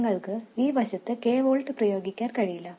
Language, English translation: Malayalam, But you can't apply k volts to this side